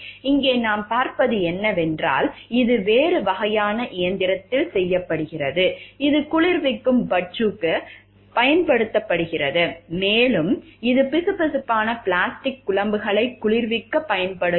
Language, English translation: Tamil, Here what we see is, it is done to a different kind of machine which is used for cooling fudge and here it is for cooling viscous plastic slurry